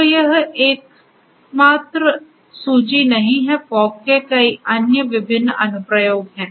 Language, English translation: Hindi, So, this is not the only list there are many other different applications of fog